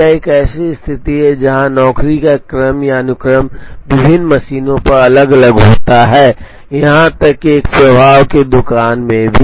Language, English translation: Hindi, This is a situation where the order or sequence of job is different on different machines, even in a flow shop